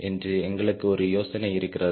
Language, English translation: Tamil, you get an idea